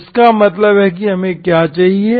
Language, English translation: Hindi, So this is what you have